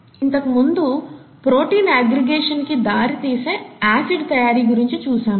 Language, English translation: Telugu, We said acid formation and then protein aggregation, okay